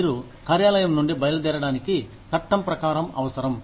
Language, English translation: Telugu, You are required by law, to leave the place of work